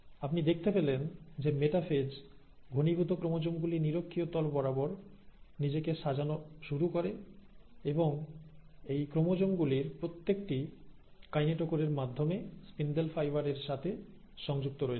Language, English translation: Bengali, So, you find that in metaphase, the condensed chromosomes start arranging themselves along the equatorial plane, and now each of these chromosomes are connected to the spindle fibres through the kinetochore